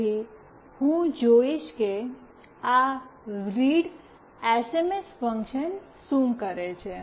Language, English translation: Gujarati, So, I will see what this readsms() function does